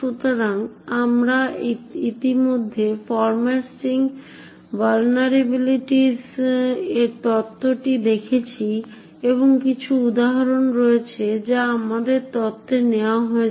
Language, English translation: Bengali, So we have already looked at the theory of format strings vulnerabilities and there are some examples, which we are taken in the theory